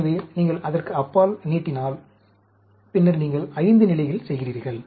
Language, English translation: Tamil, So, if you extend it beyond, then you are doing at 5 level